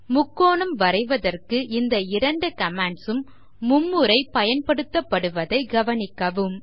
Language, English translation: Tamil, Note that these two commands are repeated thrice to draw a triangle